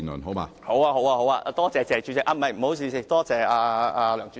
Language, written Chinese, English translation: Cantonese, 好的，多謝"謝主席"，不好意思，多謝梁主席。, All right thank you President TSE . Sorry thank you President LEUNG